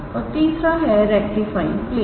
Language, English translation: Hindi, And third one is rectifying plane